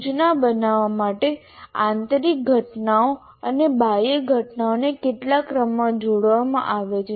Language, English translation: Gujarati, So internal events and external events are combined together in a particular sequence to create instruction